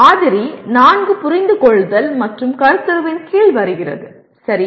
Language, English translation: Tamil, Whereas the sample 4 comes under Understand and Conceptual, okay